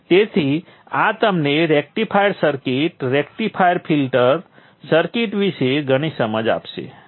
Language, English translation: Gujarati, So this would give you a lot of insight into the rectifier circuit, rectifier filter circuit in cell